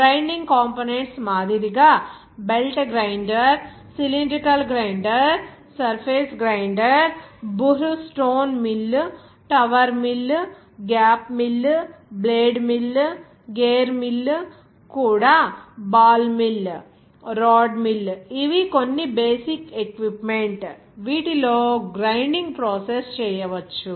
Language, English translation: Telugu, Like Grinding equipment like: belt grinder, cylindrical grinder, surface grinder, Buhr stone mill, Tower mill, gap mill, even blade mill, even gear mill also see that the ball Mill, Rod mill, these are some basic equipment by, which you can do this grinding process